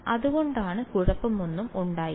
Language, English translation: Malayalam, So, there was no problem